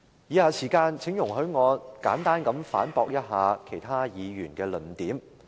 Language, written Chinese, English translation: Cantonese, 以下時間，請容許我簡單地反駁一下其他議員的論點。, In the following let me refute briefly the arguments of certain Members